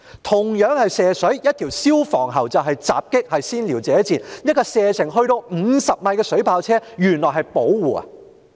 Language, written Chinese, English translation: Cantonese, 同樣是射水，但用消防喉便是襲擊，是先撩者賤；而使用射程達50米的水炮車原來卻是保護。, The use of fire hoses constituted an attack and the provokers were despicable but a water cannon vehicle with a shooting range of 50 m offered protection